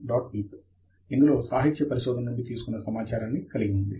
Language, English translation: Telugu, bib which contains the reference data we have picked up from the literature survey